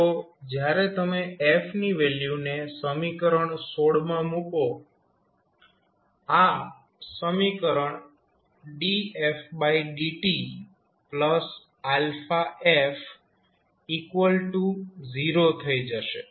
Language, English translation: Gujarati, So, when you put the value of f here so, this equation will become df by dt plus alpha f equal to 0